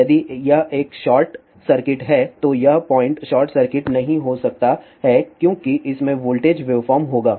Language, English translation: Hindi, If this is a short circuit this point may not be short circuit because there will be a voltage wave form